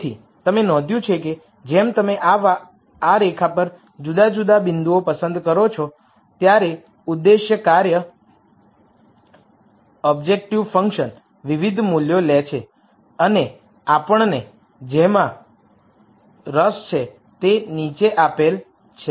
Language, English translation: Gujarati, So, you notice that as you pick different points on this line the objective function takes different values and what we are interested in is the following